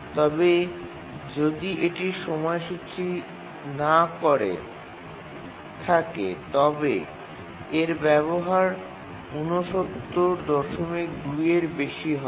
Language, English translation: Bengali, But if it is not schedulable, its utilization is more than 69